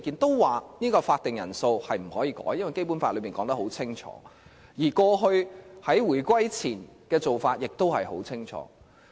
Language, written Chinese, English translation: Cantonese, 他們表示法定人數不能更改，因為《基本法》已清楚訂明，而過去在回歸前的做法亦十分清楚。, According to them no changes shall be made to the quorum because of an express stipulation in the Basic Law and our clear practice before the reunification